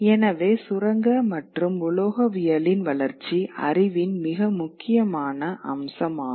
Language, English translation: Tamil, So the development of mining and metallurgy is a very important facet of knowledge